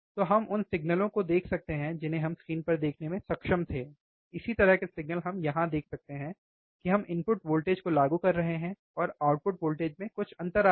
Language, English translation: Hindi, So, we can see the signals which we were able to look at the in on the screen, similar signal we can see here we are applying the input voltage, and there is some lag in the output voltage